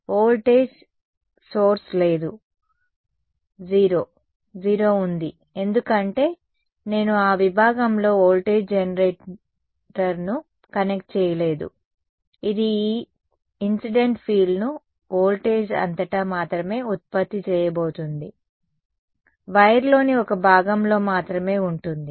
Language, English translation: Telugu, There is no voltage source there is 0 right because, I did not connect the voltage generator across that segment it is going to be, it is going to generate this incident field only across the voltage is only across one part of the wire not everywhere else